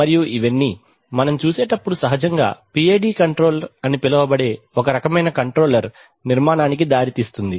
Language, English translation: Telugu, And all these, as we shall see will lead to a, naturally lead to a kind of control structure which is known as PID control